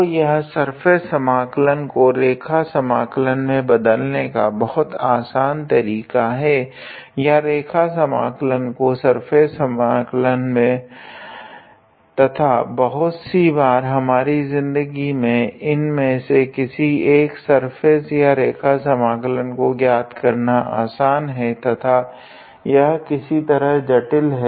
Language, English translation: Hindi, So, it is a very handy tool to convert a surface integral into a line integral or a line integral into a surface integral and most of the time it actually make our life easier to evaluate either one of them when their respective integrals are in surface or line and they are complicated in a way